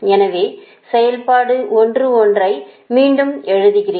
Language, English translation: Tamil, this is your equation eleven, the same equation we are actually re writing